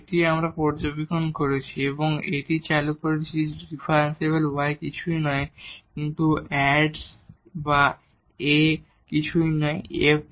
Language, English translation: Bengali, This is also we have observed and this we have introduced that the differential y is nothing but the A times dx or A is nothing, but the f prime so, f prime dx